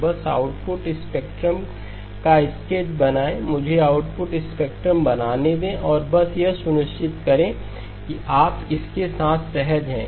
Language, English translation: Hindi, So just draw the sketch of the output spectrum, let me draw the output spectrum and just make sure that you are comfortable with that